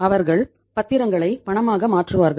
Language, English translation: Tamil, They will convert the securities into cash